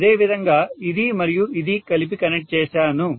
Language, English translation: Telugu, Similarly, this and this together